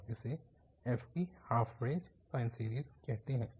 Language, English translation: Hindi, And this is called, half range sine series